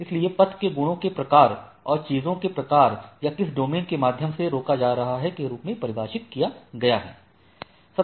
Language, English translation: Hindi, So, path is defined a series of ways within the properties and type of things or which domain it is hopping through